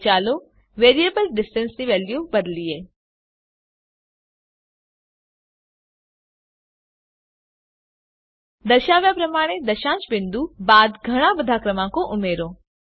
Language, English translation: Gujarati, Now let us change the value of the variable distance Add a lot of numbers after the decimal point as shown